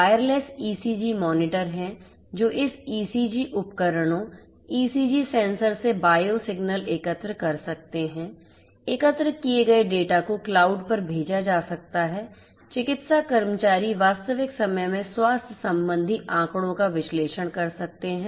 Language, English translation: Hindi, Wireless ECG monitors are there which can collect bio signals from this ECG devices, ECG sensors; the collected data could be sent to the cloud; medical staffs can analyze the health related data in real time